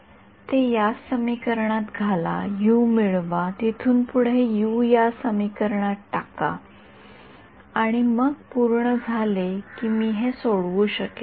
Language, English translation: Marathi, Start with some guess for x ok, put it into this equation, get U from there, put that U into this equation and then I am done I can solve this